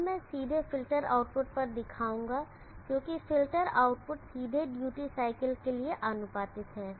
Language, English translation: Hindi, Here I will just show the directly at the filter output, because the filter output is directly proportional to the duty cycle